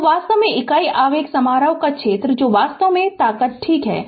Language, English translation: Hindi, So, actually area of the your what you call unit impulse function that is actually strength ok